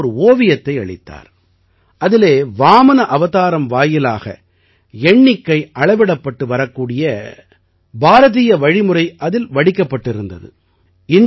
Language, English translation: Tamil, He had given me a painting, in which one such Indian method of calculation or measurement was depicted through Vamana avatar